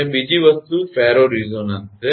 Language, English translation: Gujarati, And another thing is ferro resonance